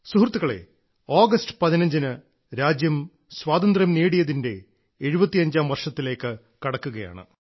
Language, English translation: Malayalam, Friends, this time on the 15th of August, the country is entering her 75th year of Independence